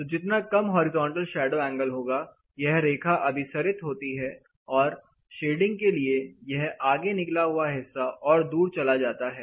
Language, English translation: Hindi, So, the lesser the horizontal shadow angle, this line converges and this projection is going in to come further ahead